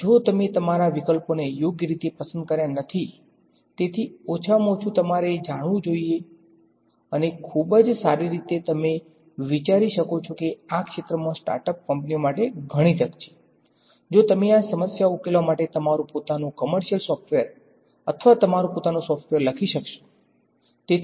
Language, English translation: Gujarati, If you did not pick your options properly; so at the very least you should know that and at the very most well you can think of there is a lot of scope for startup companies in this area, if you are able to write your own commercial software or your own software for solving these problems